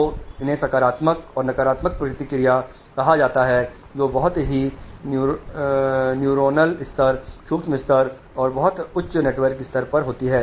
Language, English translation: Hindi, So these are called positive and negative feedbacks which occur at a very, very neuronal level, micro level and also at a very very high network level